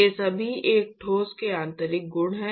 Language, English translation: Hindi, They are all intrinsic properties of a solid